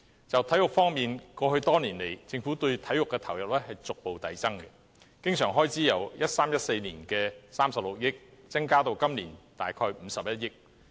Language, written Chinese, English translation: Cantonese, 就體育方面，過去多年來，政府對體育的投入逐步遞增，經常性開支由 2013-2014 年度的36億元，增加至今年的大約51億元。, Regarding sports the Governments input for sports has increased progressively over the years . The recurrent expenditure has increased from 3.6 billion in 2013 - 2014 to about 5.1 billion this year